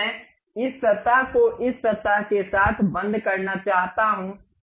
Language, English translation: Hindi, Now, I want to really lock this surface with this surface